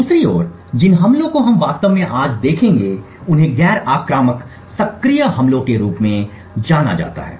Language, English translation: Hindi, On the other hand the attacks that we would actually look at today are known as non invasive active attacks